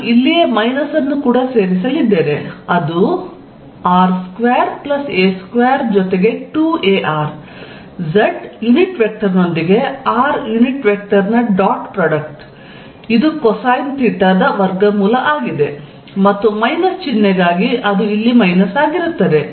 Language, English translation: Kannada, So, let us write modulus of r plus ‘az’, I am going to include minus also right here which is going to be square root of r square plus ‘a’ square plus 2 a r dot product of r unit vector with z unit vector which is going to be cosine theta raise to 1 half and for the minus sign it will be minus here